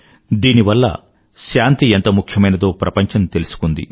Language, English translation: Telugu, This made the whole world realize and understand the importance of peace